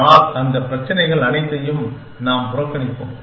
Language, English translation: Tamil, But, we will ignore all those problems